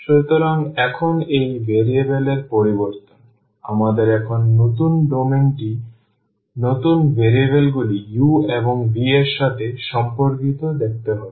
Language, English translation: Bengali, So, now this change of variable; we have to see now the domain the new domain here corresponding to the new variables u and v